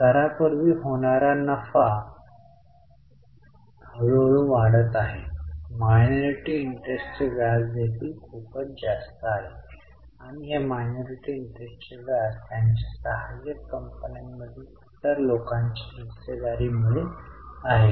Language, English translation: Marathi, Minority interest is also pretty high and this minority interest is because of the shareholding of other people in their subsidiaries